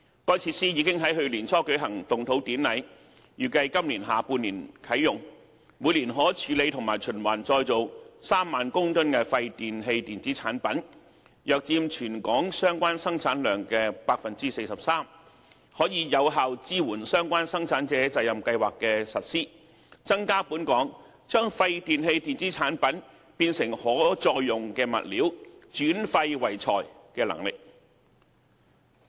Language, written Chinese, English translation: Cantonese, 該設施已於去年年初舉行動土典禮，預計今年下半年啟用，每年可處理和循環再造3萬公噸廢電器電子產品，約佔全港相關生產量的 43%， 可有效支援相關生產者責任計劃的實施，增加本港將廢電器電子產品變成可再用物料，轉廢為材的能力。, Following its ground - breaking ceremony early last year WEEETRF is expected to come into operation in the latter half of this year . By then it may dispose of and recycle 30 000 tonnes of WEEE which account for approximately 43 % of the related waste produced in Hong Kong . This can provide effective support for the implementation of relevant PRSs and enhance the territorys capacity of turning WEEE into reusable materials